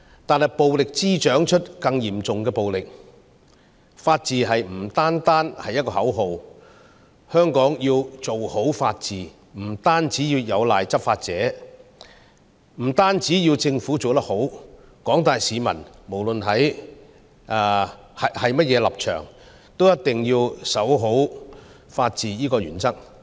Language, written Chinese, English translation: Cantonese, 但是，暴力滋長出更嚴重的暴力，法治不單是一個口號，香港要做好法治，不單有賴執法者，不單政府要做得好，廣大市民——不論甚麼立場——也一定要守好法治這項原則。, But violence will produce worse violence . The rule of law is more than a slogan . To properly maintain the rule of law of Hong Kong it takes more than the law enforcement officers more than the Government but also the general public of all political stances to stand by this principle of the rule of law